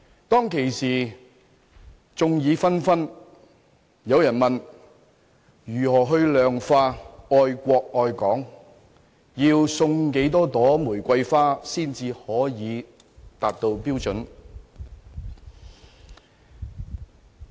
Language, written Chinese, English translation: Cantonese, 當時，眾說紛紜，有人問：如何量化愛國愛港，要送多少朵玫瑰花才能達到標準？, Back then people were divided over the issue and someone asked How can the love for both the country and Hong Kong be quantified and how many roses should be offered so as to meet the standard?